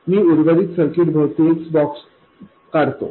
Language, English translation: Marathi, Let me draw a box around the rest of the circuit